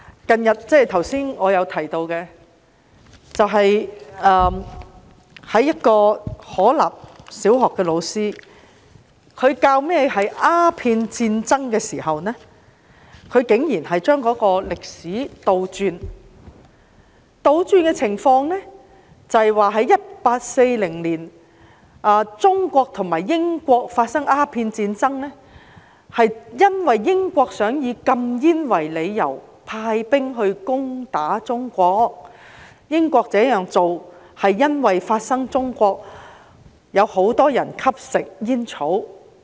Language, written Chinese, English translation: Cantonese, 正如我剛才提及，可立小學一名教師在教授鴉片戰爭時，竟然將歷史倒轉來說，他指在1840年，中國和英國發生鴉片戰爭，是因為英國擬以禁煙為理由，派兵攻打中國，而英國這樣做，是因為中國有很多人吸食煙草。, As I mentioned earlier a teacher from Ho Lap Primary School has distorted the history of the first Opium War in his teaching . He said that the Opium War broke out between China and Britain in 1840 because Britain sent troops to attack China in an attempt to ban opium smoking because Britain had found back then many people in China were smoking opium